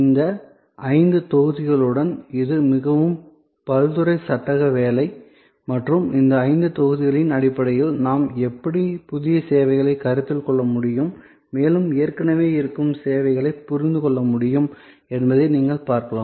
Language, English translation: Tamil, This is a very versatile frame work, with these five blocks and you can see that how we can conceive new services as well as understand existing services in terms of these five blocks